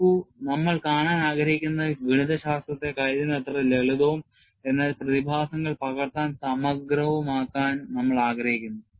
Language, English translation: Malayalam, See, what we want to look at is, we want to have the mathematics as simple as possible; a comprehensive to capture the phenomena